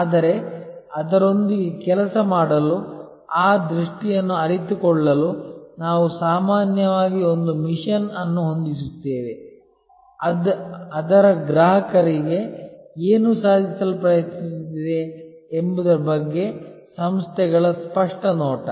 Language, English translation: Kannada, But, then to work with it, to realize that vision, we usually set a mission, an organizations clear view of what it is trying to accomplish for its customers